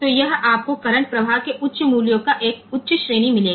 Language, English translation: Hindi, So, this will you will get a high range of high value of current flowing